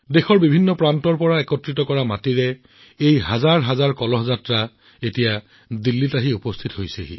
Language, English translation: Assamese, This soil collected from every corner of the country, these thousands of Amrit Kalash Yatras are now reaching Delhi